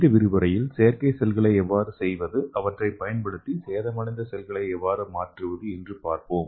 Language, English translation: Tamil, So in this lecture we are going to learn how to make artificial cell and how to replace the damaged cells using the artificial cell approach